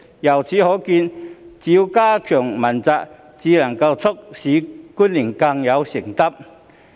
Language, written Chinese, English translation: Cantonese, 由此可見，只有加強問責才能促使官員更有承擔。, It can thus be seen that only by enhancing the accountability of officials can they become more accountable